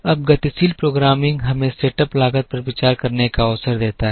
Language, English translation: Hindi, Now, dynamic programming gives us the opportunity to consider setup costs